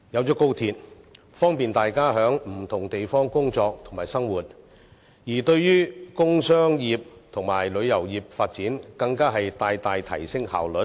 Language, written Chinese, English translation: Cantonese, 在高鐵通車後能方便大家在不同地方工作及生活，而對於工商業及旅遊業的發展，更能大大提升效率。, The commissioning of XRL will make it easier for people to work and live in different places and as regards the development of the industrial and commercial sectors and tourism efficiency will also be enhanced significantly